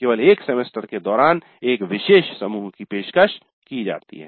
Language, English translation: Hindi, One particular group is offered during one semester only